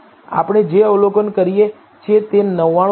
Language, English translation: Gujarati, What we observe is 99